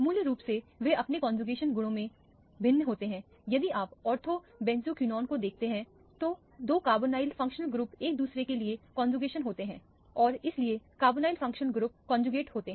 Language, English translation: Hindi, Fundamentally they are different in their conjugation properties, if you look at the ortho benzoquinone the two carbonyl functionals groups are conjugated to each other and so the carbonyl functional group conjugate